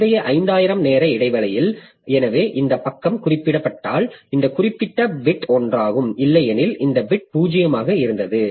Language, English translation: Tamil, So, in the previous 5,000 time interval, so if this page was referred to, then this particular bit was on, otherwise this bit was 0